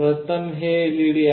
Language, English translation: Marathi, Firstly, this is the LED